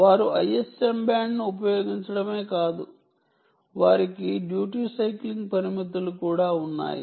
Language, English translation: Telugu, they not only use the i s m band, they also have restrictions of duty cycling